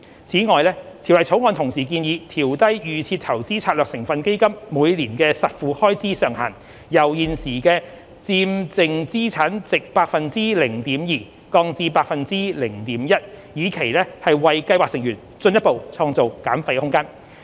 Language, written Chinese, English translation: Cantonese, 此外，《條例草案》同時建議調低預設投資策略成分基金每年的實付開支上限，由現時的佔淨資產值 0.2%， 降至 0.1%， 以期為計劃成員進一步創造減費空間。, Moreover the Bill proposes to lower the existing cap on out - of - pocket expenses of DIS constituent funds from 0.2 % of the net asset value to 0.1 % per annum with a view to creating further room for fee reduction for scheme members